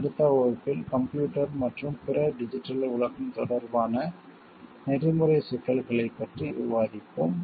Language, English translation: Tamil, In the next class we will discuss about the ethical issues related to computers and the other digital world